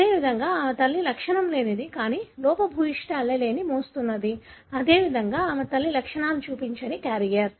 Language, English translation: Telugu, Likewise her mother is asymptomatic, but carrying the defective allele; likewise her mother is a carrier not showing symptoms